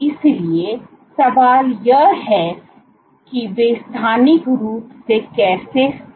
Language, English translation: Hindi, So, the question is how are they spatially located